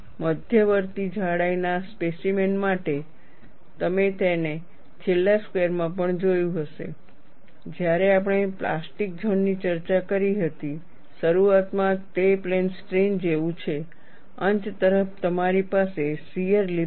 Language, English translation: Gujarati, You see, for an intermediate thickness specimen, you would also have seen it in the last class, when we discussed plastic zone, initially it is like a plane strain, and towards the end, you have a shear lip